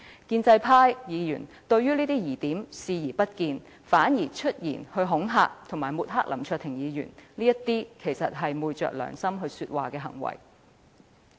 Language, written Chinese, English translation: Cantonese, 建制派議員對這些疑點視而不見，反而出言恐嚇和抹黑林卓廷議員，這實在是昧着良心說話的行為。, Pro - establishment Members have not only turned a blind eye to these doubtful points but have also made some threatening and defamatory remarks against Mr LAM Cheuk - ting . They are actually speaking against their conscience